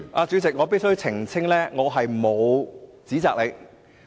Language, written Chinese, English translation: Cantonese, 主席，我必須澄清的是，我沒有指責你。, Chairman I must clarify that I have not accused you